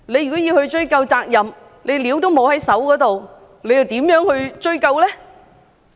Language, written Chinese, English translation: Cantonese, 如要追究責任但卻沒有資料在手，又如何追究呢？, If we wish to pursue responsibilities how can we do so with no information on hand?